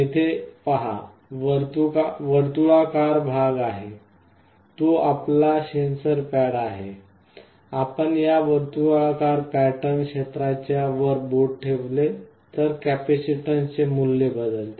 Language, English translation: Marathi, You see here there are circular patterns, this is your sensor pad; if you put your finger on top of this circular pattern area, the value of the capacitor changes